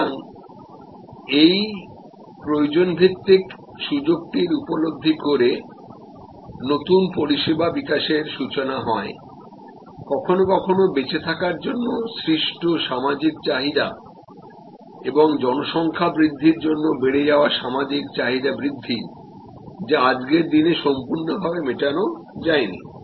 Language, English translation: Bengali, So, sensing this need based opportunity is a starting point of new service development sometimes new services are these develop today stimulated by social needs for survival and growth of population social needs that are not adequate covered